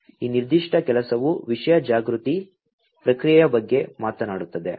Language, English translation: Kannada, So, this particular work talks about content aware processing